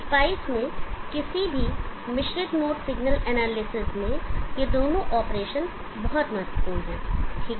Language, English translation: Hindi, These two operations are very important in any mixed mode signal analysis in spice okay